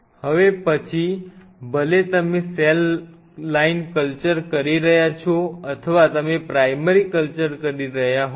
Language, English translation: Gujarati, Now, whether you what doing a cell line culture or you are doing a primary culture